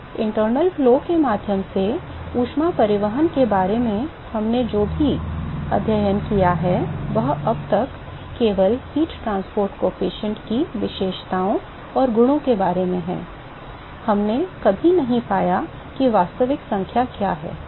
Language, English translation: Hindi, So, all the things that we have studied about heat transport through internal flows is so far only about the characteristics and properties of the heat transport coefficient we never found what is the actual number right